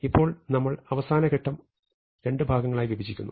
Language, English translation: Malayalam, Now we break the last step into two parts